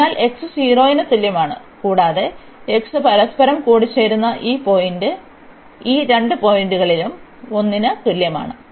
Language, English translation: Malayalam, So, x is equal to 0, and x is equal to 1 at these two points they intersect